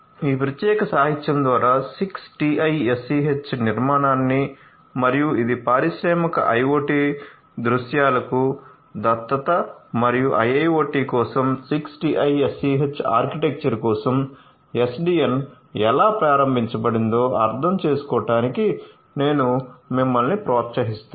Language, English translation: Telugu, This particular literature I would encourage you to go through in order to understand the 60’s architecture and it is adoption for industrial IoT scenarios and how you could have the SDN enabled for the 6TiSCH architecture for a IIoT